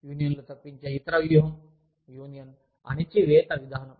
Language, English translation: Telugu, The other strategy of avoiding unions, is the union suppression approach